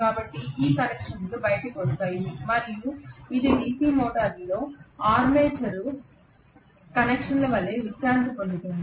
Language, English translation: Telugu, So these connections will come out and it will rest like armature connections in a DC motor